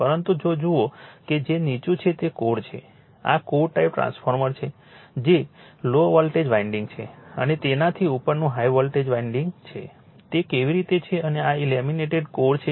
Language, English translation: Gujarati, But if you look into that that lower that is this is core this is core type transformer that low voltage winding an above that your high voltage winding how they are there and this is laminated core